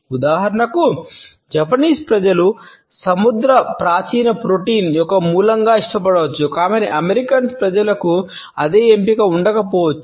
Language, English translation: Telugu, For example, seaweed may be preferred as a source of protein by the Japanese people, but the American people may not necessarily have the same choice